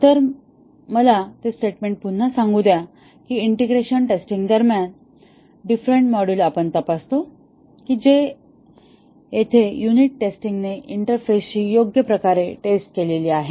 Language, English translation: Marathi, So, let me repeat that statement that during integration testing we check whether the different modules that where unit tested interface properly